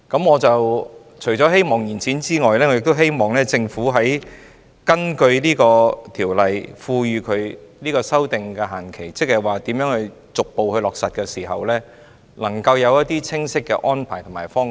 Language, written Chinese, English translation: Cantonese, 我除了希望延展修訂期限外，亦希望政府根據條例賦予修訂限期，就如何逐步落實提供清晰的安排及方向。, In addition to extending the period for amendment I also hope that the Government will provide explicit arrangements and directions on gradual implementation within the period for amending the subsidiary legislation under the legislation